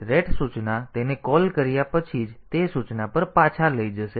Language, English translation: Gujarati, So, ret instruction will take it back to this that instruction just after the call